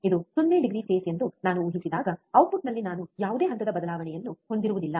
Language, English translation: Kannada, When I assume that this is a 0 degree phase, then at the output I will have no phase shift